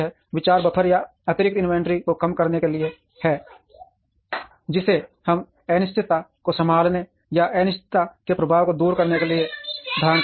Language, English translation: Hindi, The idea is to reduce the buffer or excess inventory, which we hold to handle uncertainty or to address the effect of uncertainty